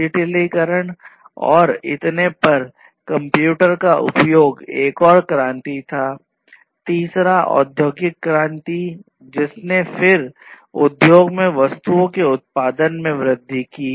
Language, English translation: Hindi, So, the use of computers digitization and so on was another revolution the third industrial revolution, which again increased the production of goods and commodities in the industry